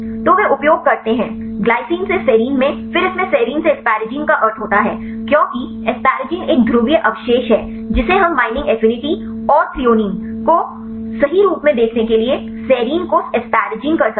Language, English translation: Hindi, So, they use glycine to serine, then asparagine into serine in it makes sense because asparagine is a polar residue we might asparagine to serine to see the binding affinity and the threonine in right